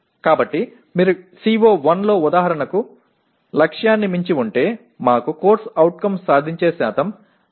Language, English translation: Telugu, So if you have exceeded the target like for example in CO1 we got CO attainment percentage 62